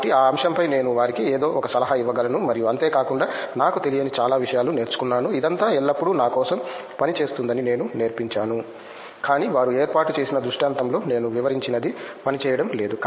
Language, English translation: Telugu, So in that platform I had something to offer to them and also I learnt a lot of things which I didn’t know, I taught that it is always all working for me, but they set up some scenario in which my thing was not working